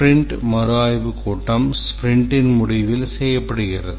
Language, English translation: Tamil, The sprint review meeting is done at the end of the sprint